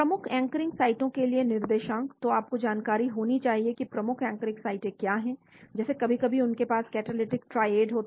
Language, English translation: Hindi, Coordinates to key anchoring sites, so you should identify what are the key anchoring sites like sometimes they have catalytic triad